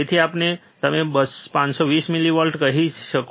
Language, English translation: Gujarati, So, or you can say 520 millivolts